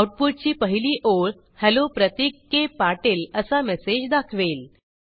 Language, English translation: Marathi, The first line of output displays the message Hello Pratik K Patil